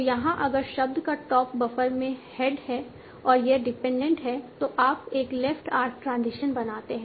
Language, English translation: Hindi, So here if the top of the word in buffer is the head and this is the dependent dependent you make a left arc transition